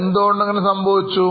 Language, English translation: Malayalam, Why this would have happened